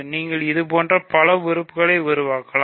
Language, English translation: Tamil, You can construct lots of elements like this